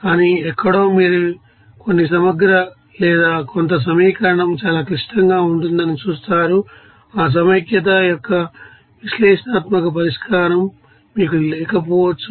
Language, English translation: Telugu, But somewhere you will see that some integral or some equation will be so complicated that you may not had that you know analytical solution of that integration